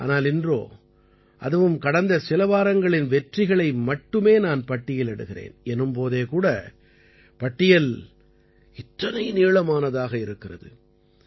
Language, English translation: Tamil, But, today, I am just mentioning the successes of the past few weeks, even then the list becomes so long